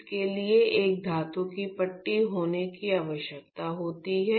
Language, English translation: Hindi, So, the need for having this is there is a metallic strip